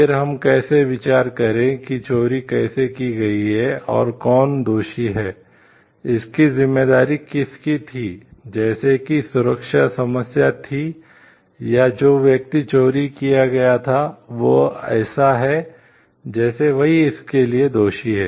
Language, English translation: Hindi, Then how do we consider, how that theft has been done and who is guilty, whose responsibility was it like was the security was the problem, or the person who were stolen, it is like he is guilty for it